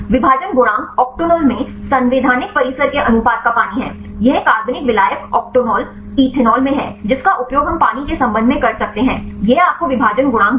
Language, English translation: Hindi, The partition coefficient is the ratio of the constitutional compound in octonol to its water; this is in the organic solvent octanol, ethanol we can use and with respect to the water; this will give you the partition coefficient